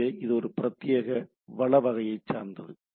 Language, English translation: Tamil, So, it is a dedicated resource type of things